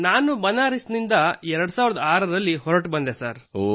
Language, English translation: Kannada, I have left Banaras since 2006 sir